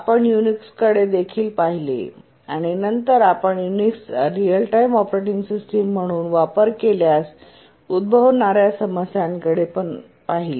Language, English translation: Marathi, We looked at Unix and then we looked at what problems may occur if Unix is used as a real time operating system